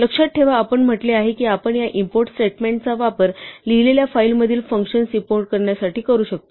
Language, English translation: Marathi, Remember we said that we can include functions from a file we write using this import statement